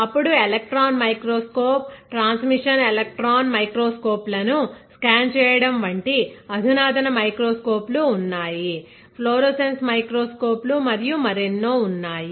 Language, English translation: Telugu, Then there are advanced microscopes like scanning the electron microscope, transmission electron microscopes, right, there are florescence microscopes and many more